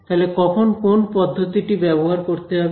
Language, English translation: Bengali, So, when should one use which method right